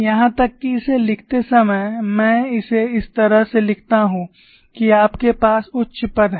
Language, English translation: Hindi, Even while writing it, I write it in such a fashion that you have higher order terms